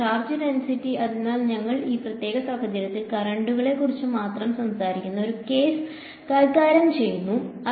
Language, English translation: Malayalam, Charge density so we are in this particular case we are dealing with a case where we are talking only about currents ok